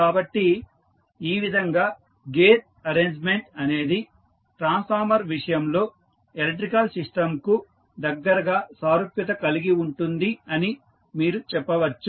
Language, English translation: Telugu, So, in this way you can say that the gear arrangement is closely analogous to the electrical system in case of the transformer